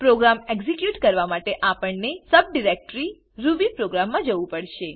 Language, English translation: Gujarati, To execute the program, we need to go to the subdirectory rubyprogram